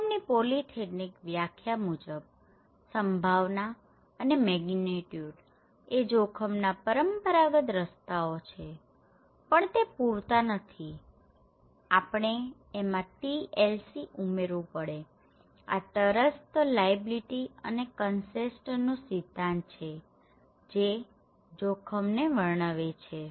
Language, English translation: Gujarati, So, polythetic definition of risk is that probability and magnitude that is the traditional way of looking at risk but that is not enough, we should add the TLC okay, this is the principle of trust, liability and consent are themselves also, the subject when we define that what is risk